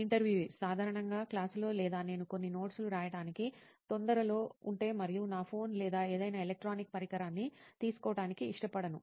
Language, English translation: Telugu, Usually in class or if I am in a hurry to just write some notes and I do not want to take my phone or the any electronic device